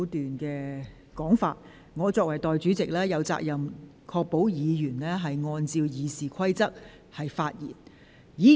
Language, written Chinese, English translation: Cantonese, 我作為代理全委會主席，有責任確保委員按照《議事規則》發言。, As Deputy Chairman I have the responsibility to ensure that Members comply with the Rules of Procedure when they speak